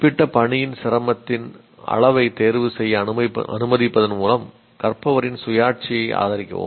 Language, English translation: Tamil, Support the learners autonomy by allowing them to make choices on the level of difficulty of certain tasks